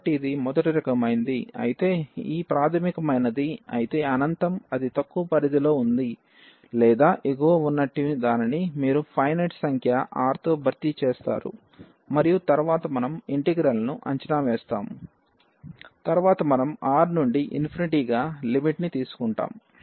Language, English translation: Telugu, So, if it is a of first kind then this infinity whether it is in the lower range or the upper one you will replace by a finite number R and then we will evaluate the integral later on we will take the limit as R tending to infinity